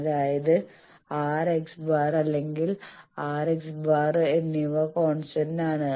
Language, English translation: Malayalam, That means, R and X or R and X bar they are constant